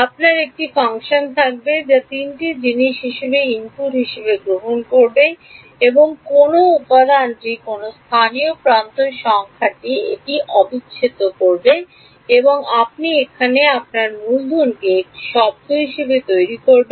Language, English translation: Bengali, You would have a function which takes as input three things which element which local edge numbers it will do the integral and you will populate your capital A term over here